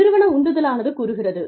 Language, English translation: Tamil, Organizational motivation states